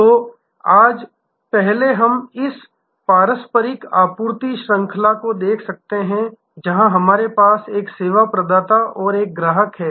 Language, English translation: Hindi, So, today first we can look at this traditional supply chain, where we have a service provider and a customer